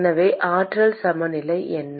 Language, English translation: Tamil, So what is the energy balance